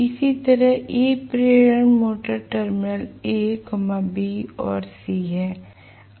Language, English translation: Hindi, Similarly, these are the induction motor terminals a, b and c, okay